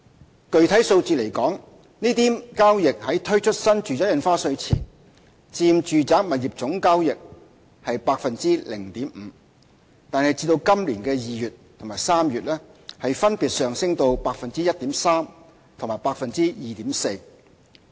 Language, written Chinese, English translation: Cantonese, 就具體數字而言，這類交易在推出新住宅印花稅前佔住宅物業總交易的 0.5%； 但至今年2月和3月分別上升至 1.3% 和 2.4%。, In terms of specific numbers the ratio of such cases to the total residential property transactions increased from 0.5 % before the introduction of NRSD to 1.3 % and 2.4 % in February and March this year respectively